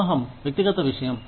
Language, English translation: Telugu, Marriage is a personal matter